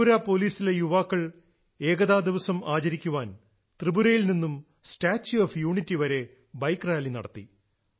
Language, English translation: Malayalam, To celebrate Unity Day the personnel of Tripura Police are organising a Bike Rally from Tripura to the Statue of Unity… That is connecting the country from East to West